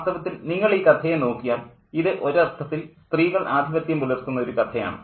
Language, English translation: Malayalam, In fact, if you look at the story, it's a story that is dominated by women in one sense